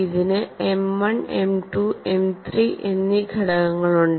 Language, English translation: Malayalam, This has component of M 1, M 2, M 3